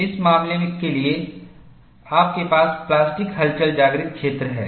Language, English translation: Hindi, For this case, you have the plastic wake